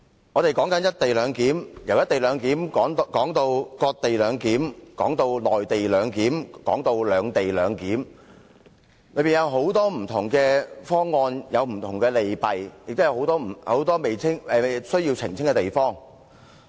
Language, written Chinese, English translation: Cantonese, 我們從"一地兩檢"討論至"割地兩檢"、"內地兩檢"和"兩地兩檢"，當中有很多不同方案，有不同利弊，也有很多需要澄清的地方。, Starting with co - location clearance we have also discussed cession - based co - location clearance co - location clearance in the Mainland and even separate - location clearance . We have discussed many different options each with its own pros and cons and marked by many areas in need of clarification